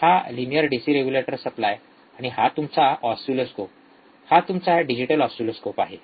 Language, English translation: Marathi, Linear DC regulator supply, and this is your oscilloscope, digital oscilloscope